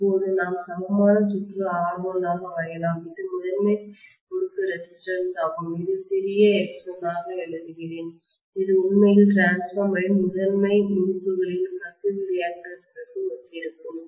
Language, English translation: Tamil, Now we can draw the equivalent circuit as R1, which is the primary winding resistance, let me write this as small x1, which will, actually corresponds to the leakage reactance of the transformer primary winding